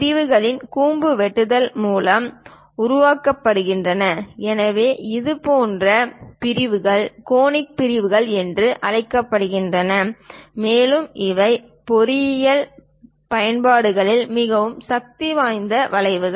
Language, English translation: Tamil, On the sections are generated from cone by slicing it; so such kind of sections are called conic sections, and these are very powerful curves in engineering applications